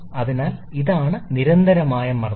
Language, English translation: Malayalam, So, this is the constant pressure line